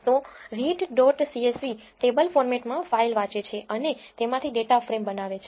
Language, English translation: Gujarati, So, read dot csv reads the file in the table format and creates a data frame from it